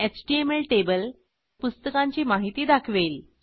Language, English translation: Marathi, This HTML table will display details of the books